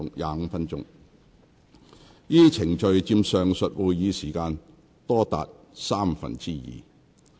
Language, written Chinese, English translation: Cantonese, 該等程序佔上述會議時間多達三分之二。, As much as two thirds of the total meeting time was spent on those procedures